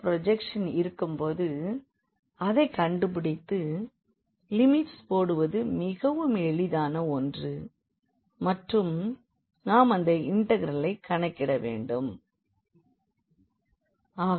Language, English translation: Tamil, Once we have that projection, if we identify that projection putting the limits will be will be much easier and we can compute the integral